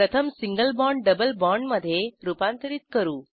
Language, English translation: Marathi, Lets first convert single bond to a double bond